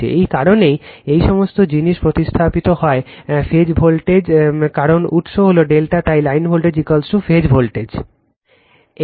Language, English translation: Bengali, That is why all these thing is replaced by phase voltage because your source is delta right, so line voltage is equal to phase voltage